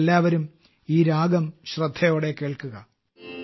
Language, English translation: Malayalam, Listen carefully now to this tune